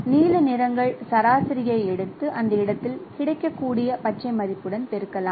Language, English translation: Tamil, So you can estimate the blue hues, take the average and multiply with the green value what is available at that location